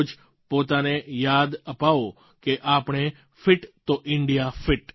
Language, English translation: Gujarati, Remind yourself every day that if we are fit India is fit